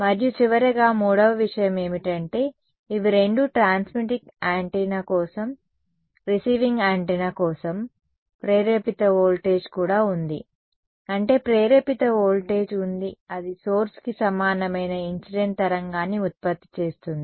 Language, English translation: Telugu, And finally, the third thing so, these are both for a transmitting antenna, for a receiving antenna also there is an induced voltage I mean induced there is a incident wave that will produce an equivalent of a source